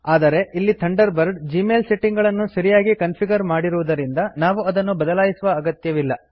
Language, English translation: Kannada, As Thunderbird has already configured Gmail settings correctly, we will not change them